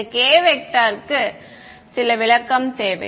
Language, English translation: Tamil, Then this k needs some interpretation ok